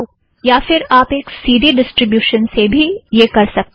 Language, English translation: Hindi, Or you can do it from a CD based distribution